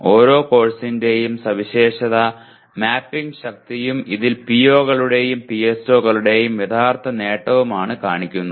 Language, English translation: Malayalam, Each course is characterized by mapping strength as well as actual attainment of the POs and PSOs in this